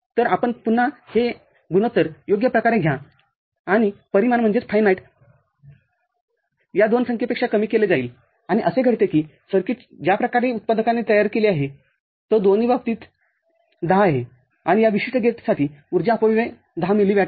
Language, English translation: Marathi, So, again you take the ratio all right and the finite will be lowered of these two numbers, and in happened to be case that the way the circuit has been designed by the manufacturer it is 10 in both the cases, and for this particular gate, the power dissipation is of the order of 10 milli watt